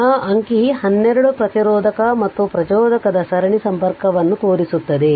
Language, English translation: Kannada, So, this figure 12 shows the series connection of a resistor and inductor